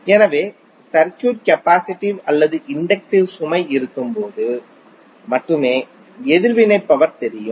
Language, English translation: Tamil, So it means that the reactive power is only visible when we have either capacitive or inductive load available in the circuit